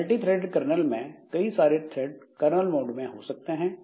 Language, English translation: Hindi, The multi threaded kernel, multiple threads can be there inside the kernel mode